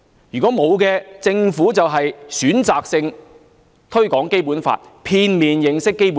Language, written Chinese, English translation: Cantonese, 如果沒有，政府就是選擇性推廣《基本法》，令市民片面認識《基本法》。, If the Government did not do so then it is being selective in its Basic Law promotion thus giving the public a biased understanding of the Basic Law